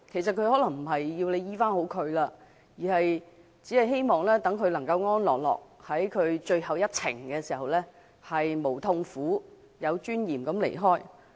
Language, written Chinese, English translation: Cantonese, 他們可能並非希望可以痊癒，而是希望在人生的最後一程能夠沒有痛苦、安樂而有尊嚴地離開。, What they hope for is probably not getting a cure but leaving the world without suffering in peace and with dignity in the final leg of their journey of life